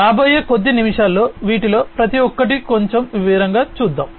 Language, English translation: Telugu, Say let us look at each of these individually in little bit more detail in the next few minutes